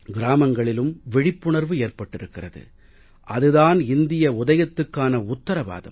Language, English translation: Tamil, The awareness that has come about in villages guarantees a new progress for India